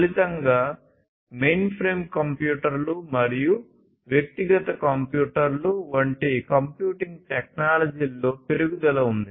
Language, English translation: Telugu, So, the result was increase in computing technologies such as mainframe computers, personal computers, etc